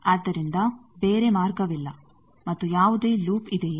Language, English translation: Kannada, So, there is no other path and is there any loop